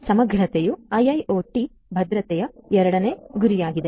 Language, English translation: Kannada, Integrity is the second goal of IIoT security